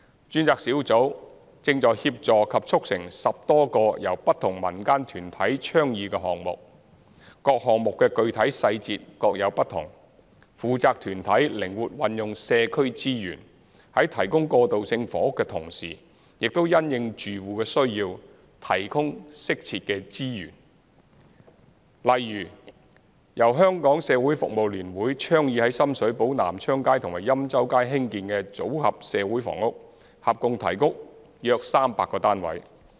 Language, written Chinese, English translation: Cantonese, 專責小組正在協助及促成10多個由不同民間團體倡議的項目，各項目具體細節各有不同，負責團體靈活運用社區資源，在提供過渡性房屋的同時，亦因應住戶的需要，提供適切的支援，例如由香港社會服務聯會倡議於深水埗南昌街及欽州街興建"組合社會房屋"，合共提供約300個單位。, The responsible organizations are making use of the community resources flexibly . While providing transitional housing they also offer appropriate support to suit households needs . For example the Modular Social Housing Scheme on Nam Cheong Street and Yen Chow Street in Sham Shui Po initiated by the Hong Kong Council of Social Service HKCSS has provided about 300 housing units